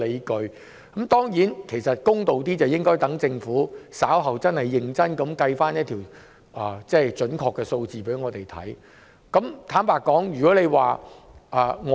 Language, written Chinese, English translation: Cantonese, 公道點說，其實應該讓政府稍後認真計算並提供準確數字後才下判斷。, To be fair we should not make judgment until the Government has made serious calculations and provided us with accurate numbers